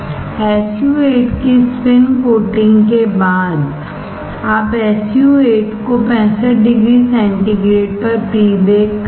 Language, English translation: Hindi, And, after spin coating SU 8 you pre bake the SU 8 at 65 degree centigrade